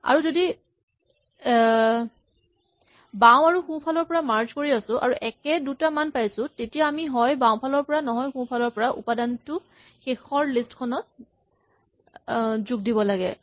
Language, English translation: Assamese, So, when we are merging left and right when we have the equal to case we have to either put the element from left into the final list or right